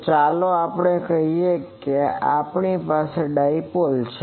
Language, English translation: Gujarati, So, let us say that we have a dipole